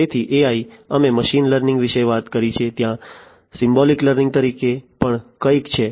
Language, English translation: Gujarati, So, AI we have talked about machine learning, there is also something called Symbolic Learning, Symbolic Learning